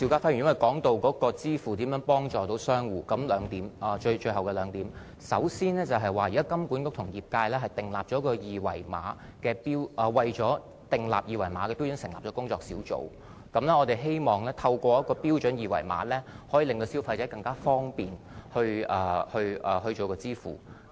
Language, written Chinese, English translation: Cantonese, 我正談到電子支付如何協助商戶，這有兩方面，首先，金管局現時與業界為了制訂二維碼的標準而成立工作小組，我們希望透過標準二維碼，可以令消費者更方便地支付費用。, I was talking about how electronic payment can facilitate the business of traders and there are two aspects . Firstly HKMA has set up a working group together with the industry for formulating a common QR code standard through which consumers can find it more convenient in making payments